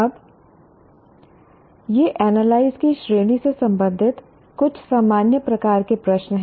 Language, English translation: Hindi, Now, these are some generic type of questions belonging to the category of analyzed